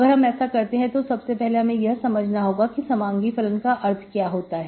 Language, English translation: Hindi, What we do is, 1st of all before we solve this equation, so we should understand what is the meaning of homogeneous function